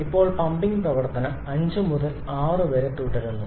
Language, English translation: Malayalam, Now the pumping operation proceeds from 5 to 6